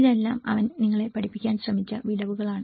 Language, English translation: Malayalam, These are all the gaps he tried to teach you